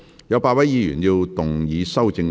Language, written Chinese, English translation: Cantonese, 有8位議員要動議修正案。, Eight Members will move amendments to this motion